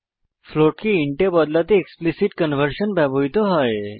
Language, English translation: Bengali, To convert a float to an int we have to use explicit conversion